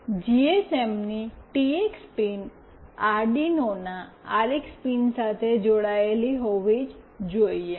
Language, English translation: Gujarati, The TX pin of the GSM must be connected with the RX pin of the Arduino